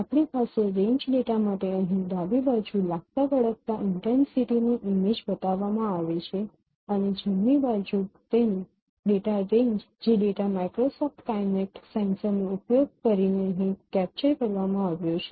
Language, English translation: Gujarati, The whole range data is shown here in the left side corresponding intensity image is shown and the right side its data, range data captured using the Microsoft Connect sensor that has been shown here